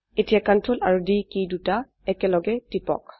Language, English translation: Assamese, Now press the Ctrl and D keys together